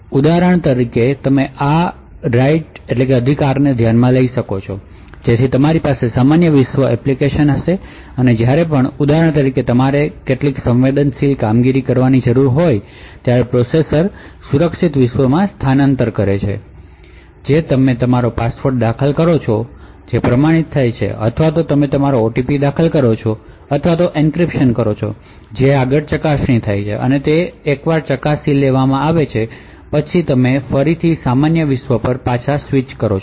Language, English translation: Gujarati, So for example you could consider this right so you would have normal world applications and whenever for example you require to do some sensitive operation the processor shifts to the secure world you enter your password which gets authenticated or you enter your OTP or do an encryption which further gets verified and then once it is verified you switch back to the normal world